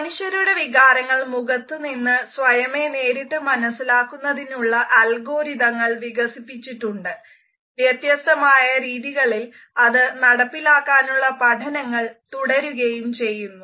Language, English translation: Malayalam, Numerous methods and algorithms for automatically recognizing emotions from human faces have been developed and they are still being developed in diversified ways